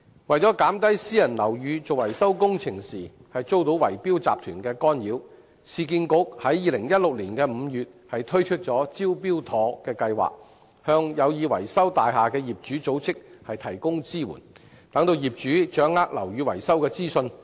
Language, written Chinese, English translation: Cantonese, 為減少私人樓宇進行維修工程時遭圍標集團干擾，市區重建局在2016年5月推出"招標妥"樓宇復修促進服務，向有意維修大廈的業主組織提供支援，讓業主掌握樓宇維修的資訊。, To minimize the intervention of bid - rigging syndicates in maintenance works of private buildings the Urban Renewal Authority introduced the Smart Tender Building Rehabilitation Facilitating Services in May 2016 to provide assistance to owners organizations intending to carry out building maintenance so that owners can obtain information of building maintenance